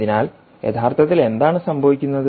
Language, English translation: Malayalam, so what is actually happening